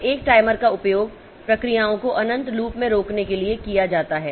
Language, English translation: Hindi, So, a timer is used to prevent the processes to be in infinite loop